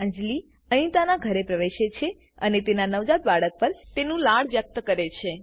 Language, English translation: Gujarati, Anjali enters Anitas house and expresses her happiness on her newborn child